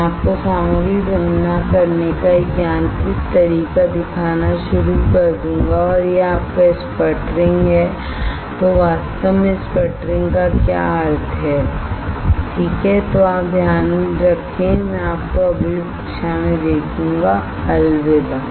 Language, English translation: Hindi, I will start showing you a mechanical way of depositing of material and that is your sputtering right what exactly a sputtering means alright is then you take care I will see you next class, bye